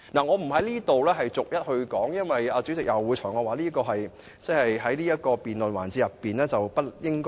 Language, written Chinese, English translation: Cantonese, 我不在此逐一說明，因為主席會裁決我不應在這個辯論環節內提出。, I will not explain them one by one because if I do the President will rule that I should not raise these points in this debate session